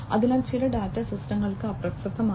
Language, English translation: Malayalam, So, some data are irrelevant for systems